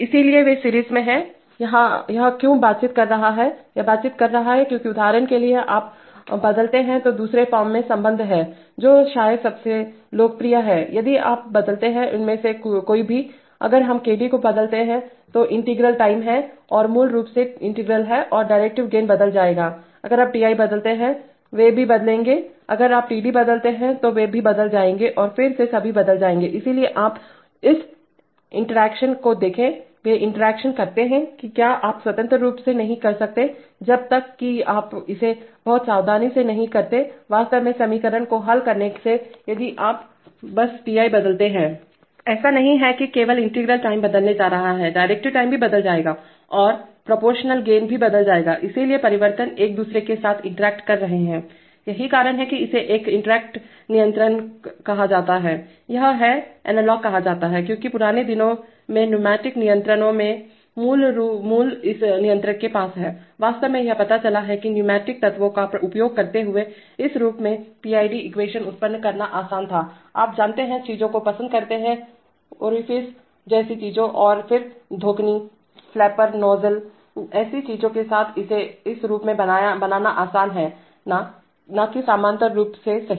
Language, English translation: Hindi, So therefore they are in series, why is it interacting, it is interacting because, for example if you change, if you change with respect to the, with respect to the second form which is probably the, probably the most popular, if you change any one of these, let us say if we change KC then integral time and is basically the integral and the derivative gains will change, if you change Ti also they will change, if you change Td also they will change and then all of them will change, so you see that interact, they interact that is you cannot independently, unless you do it very carefully, by actually solving equations if you just change Ti That is not just that the integral time is going to change, the derivative time will also change and the proportional gain will also change, so therefore the, the changes are interacting with one another that is why it is called an interacting controller, this is called analog because this controller has it is origin in the old days pneumatic controls, actually it turns out that, it was easier to generate the PID equation in this form using pneumatic elements, you know, things like, things like orifices and then bellows, flapper nozzles, so you, with such things it is easy to build it in this form and not in the parallel form right